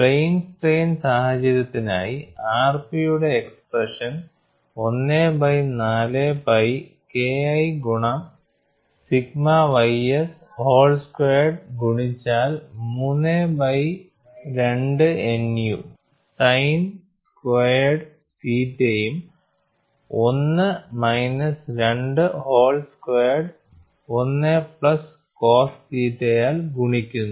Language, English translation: Malayalam, For the plane strain situation, the expression for r p turns out to be 1 by 4 pi multiplied by K 1 by sigma ys whole square, multiplied by 3 by 2 sin square theta plus 1 minus 2 nu whole squared multiplied by 1 plus cos theta, and this for Von Mises